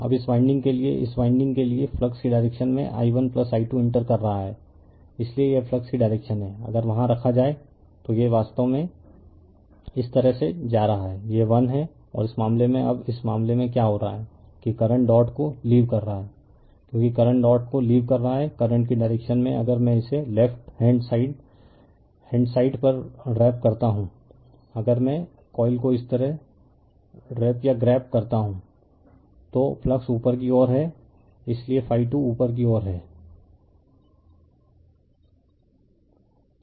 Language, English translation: Hindi, Now, in the direction of the flux for this winding for this winding i 1 plus i 2 entering, so it direction of the flux that if you put there it is it is actually going like this, this is phi 1 and in this case now in this case what is happening, that current is leaving the dot right as the current is leaving the dot that in the direction of the current if I wrap it the way on the left hand side, right hand side, if I wrap or grabs the coil like this the direction of flux is upward that is why phi 2 is upward